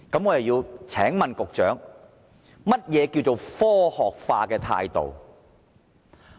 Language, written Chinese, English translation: Cantonese, 我請問局長，何謂科學化的態度？, May I ask the Secretary what is meant by a scientific attitude?